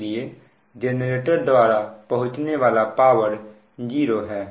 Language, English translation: Hindi, so power delivered by the generator will be zero then that